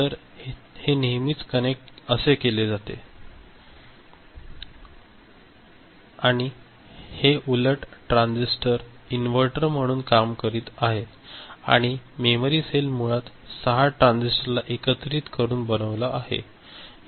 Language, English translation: Marathi, So, this was always connected, this was always connected and the transistors; these opposite transistors were acting as inverter and the memory cell was you know was basically made up of these 6 transistors put together, right